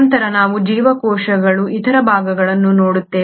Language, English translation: Kannada, Then we look at the other parts of the cells